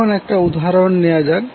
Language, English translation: Bengali, Now let us take 1 example